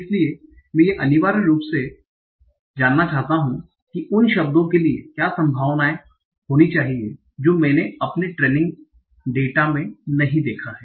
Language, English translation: Hindi, So intuition is essentially I want to find out what should be the probability for the words that I have not seen in my training data